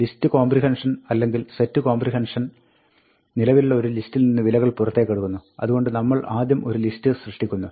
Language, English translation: Malayalam, Remember that, list comprehension or set comprehension, pulls out values from an existing set of lists, so we first generate a list